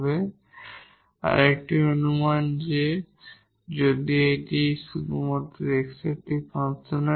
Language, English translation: Bengali, So, if this one is a function of x only